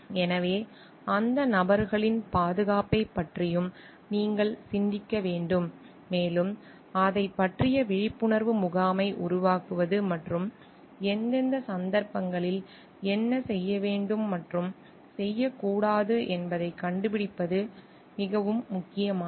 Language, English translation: Tamil, So, you have to think of the safety of those individuals also, and maybe it is more important to generate an awareness camp about it and to find out like in what cases what the do s and do not s type